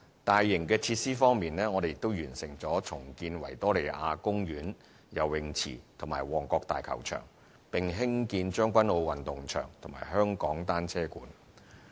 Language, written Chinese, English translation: Cantonese, 大型設施方面，我們亦完成重建維多利亞公園游泳池和旺角大球場，並興建將軍澳運動場和香港單車館。, With regard to major facilities we have also completed the redevelopment of the Victoria Park Swimming Pool and the Mong Kok Stadium . Also completed are the construction of Tseung Kwan O Sports Ground and that of the Hong Kong Velodrome